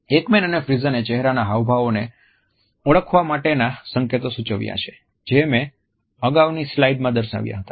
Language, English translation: Gujarati, Ekman and Friesen have suggested cues for recognition of facial expressions, which I have listed in a previous slide